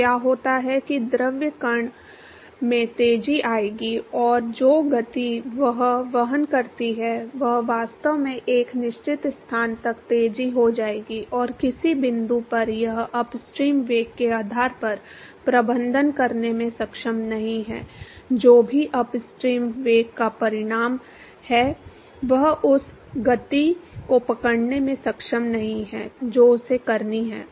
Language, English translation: Hindi, So, what happens is that the fluid particle will accelerate and the momentum that it carries will actually accelerate up to a certain location and at some point it is not able to manage, depending upon the upstream velocity whatever is the magnitude of the upstream velocity, it is not able to catch up with this speed that it has to